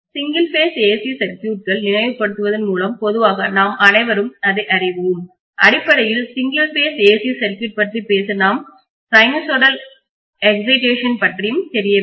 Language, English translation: Tamil, So I am starting with recalling single phase AC circuits, all of you guys know that generally when we talk about single phase AC circuit we are going to have sinusoidal excitation basically